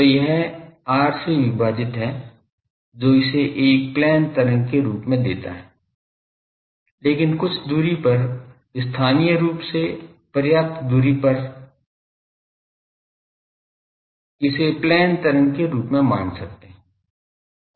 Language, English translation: Hindi, So, it is this divided by r that gives it a plane wave form, but at a sufficient distance locally over certain distance we can consider it as a plane wave